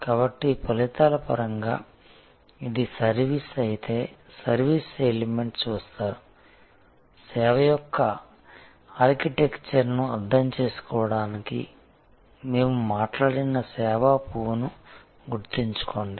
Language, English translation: Telugu, So, this in terms of the results, if the service is, service elements are viewed, remember that flower of service which we have talked about to understand the architecture of the service